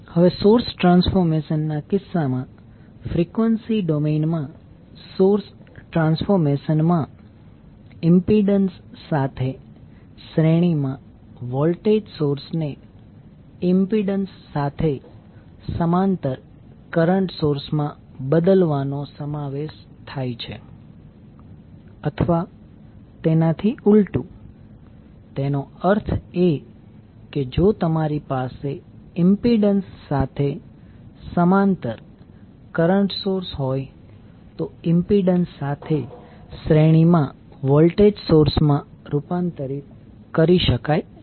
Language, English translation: Gujarati, Now in case of source transformation the, in frequency domain the source transformation involves the transforming a voltage source in series with impedance to a current source in parallel with impedance or vice versa that means if you have current source in parallel with impedance can be converted into voltage source in series with an impedance